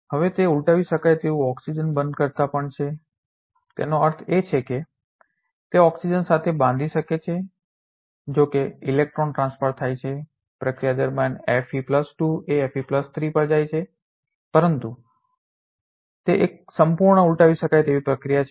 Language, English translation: Gujarati, Now, it is also a reversible oxygen binding; that means, it can bind with oxygen although electron transfer happens Fe2+ goes to Fe3+ during the process, but it is a completely reversible process